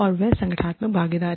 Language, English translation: Hindi, And, that is, and the organizational involvement